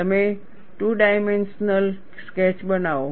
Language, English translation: Gujarati, You make a two dimensional sketch